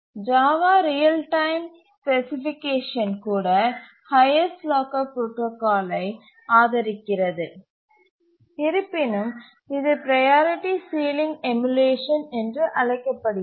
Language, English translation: Tamil, Even the real time specification for Java supports highest locker protocol, though it calls it as the priority sealing emulation